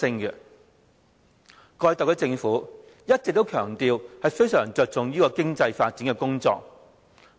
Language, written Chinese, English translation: Cantonese, 過去特區政府一直強調，非常着重經濟發展工作。, The SAR Government has all along stressed the importance of economic development